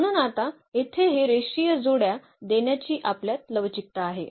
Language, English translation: Marathi, So now, we have the flexibility to give this linear combinations here